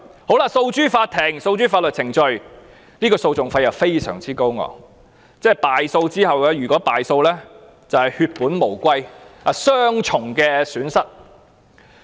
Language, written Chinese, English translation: Cantonese, 如果訴諸法律程序，訴訟費又非常高昂，一旦敗訴，便會血本無歸，雙重損失。, If the residents resort to legal proceedings the litigation costs would be exorbitant and in case the Court ruled not in their favour they would lose their hard - earned money and suffer double losses